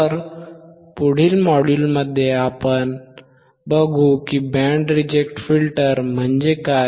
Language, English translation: Marathi, So, in the next module, we will see what is band reject filter